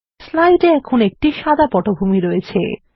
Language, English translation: Bengali, The slide now has a white background